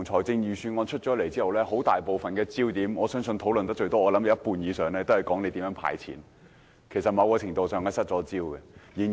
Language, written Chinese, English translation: Cantonese, 自預算案發表後，大部分討論焦點均集中於政府如何"派錢"，我相信某程度上是失焦了。, After the delivery of the Budget most of the discussions have focused on how the Government should give cash handouts . I believe the focus is distracted to a certain extent